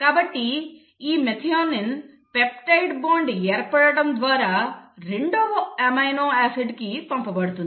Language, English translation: Telugu, So this methionine will be passed on to the second amino acid through the formation of peptide bond